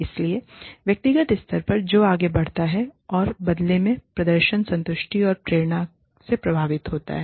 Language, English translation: Hindi, So, at the individual level, that leads to, and is in turn influenced by, performance, satisfaction, and motivation